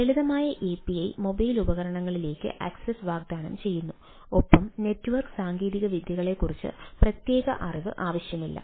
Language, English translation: Malayalam, so simple api is offering access to mobile devices and requiring no specific knowledge of underlining network technologies